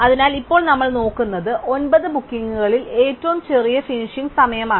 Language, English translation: Malayalam, So, now what we look at, it is a smallest finishing time among nine bookings and that happens to be 1